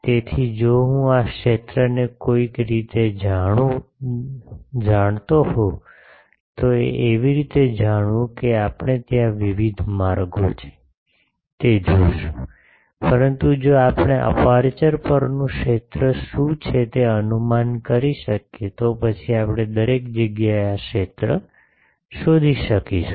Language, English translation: Gujarati, So, if I know somehow this field, how to know that that we will see there are various ways, but we can, if we can guess what is the field on the aperture, then we can find the field everywhere So, it is a field, aperture field based analysis technique now